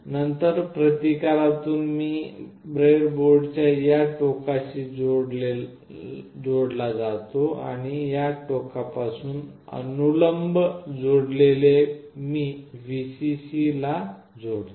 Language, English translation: Marathi, Then through a resistance, I connect to this end of the breadboard and from this end that is vertically connected, I will put it to Vcc